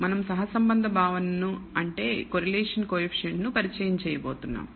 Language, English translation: Telugu, We are going to introduce the notion of correlation